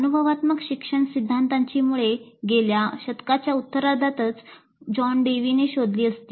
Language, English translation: Marathi, The roots of experiential learning theory can be traced to John Dewey all the way back to the early part of the last century